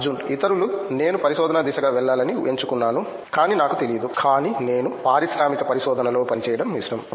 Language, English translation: Telugu, Others, for if I am I opt to go for a research, but I don’t know, but I have like to work in industrial research